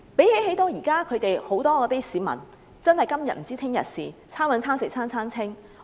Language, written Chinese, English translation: Cantonese, 現時，很多市民"今天不知明天事"、"餐搵餐食餐餐清"。, At present many people do not know what will happen tomorrow and they can only live from hand to mouth